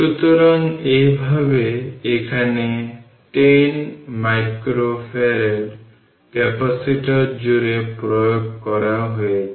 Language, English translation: Bengali, So, this way here what you what you call is applied across the 10 micro farad capacitor